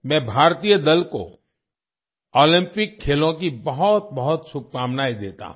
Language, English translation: Hindi, I wish the Indian team the very best for the Olympic Games